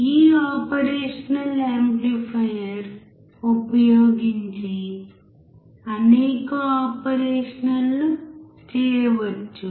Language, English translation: Telugu, There are several operations that can be performed by this operational amplifier